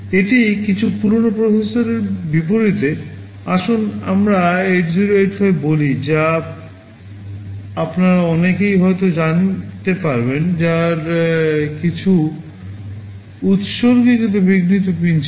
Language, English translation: Bengali, This is unlike some older processors; let us say 8085 which many of you may be knowing, which had some dedicated interrupt pins